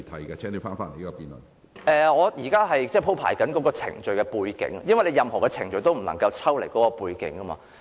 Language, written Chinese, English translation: Cantonese, 我正在鋪排有關程序的背景，因為任何程序也不能抽離其背景。, I am presenting the background of the proceedings because no proceedings can be viewed independent of the background